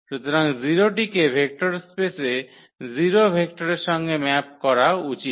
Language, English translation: Bengali, So, 0 should map to the 0 vector in the vector space Y